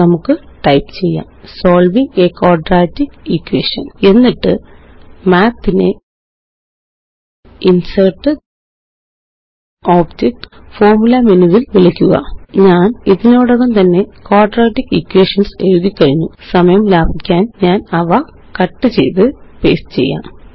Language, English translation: Malayalam, Let us type: Solving a Quadratic Equation And call Math from the InsertgtObjectgtFormula menu I have already typed the quadratic equations, I will cut and paste them so as to save time